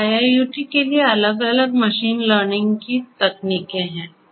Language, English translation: Hindi, So, for IIoT there are different machine learning techniques in place